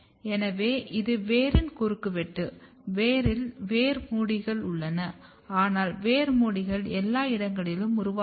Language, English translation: Tamil, So, this is a cross section of root; in root we have root hairs, but root hairs does not form everywhere